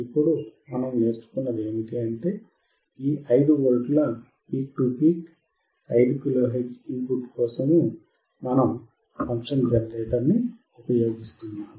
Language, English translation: Telugu, So, we will do this experiment so, the one thing that we have now learn is that for generating this 5V peak to peak 5 kilo hertz; for that we are using the function generator